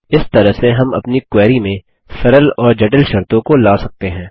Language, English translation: Hindi, This is how we can introduce simple and complex conditions into our query